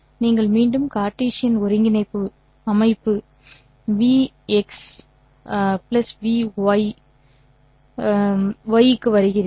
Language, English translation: Tamil, You go back to the Cartesian coordinate system, Vxx hat plus Vy y hat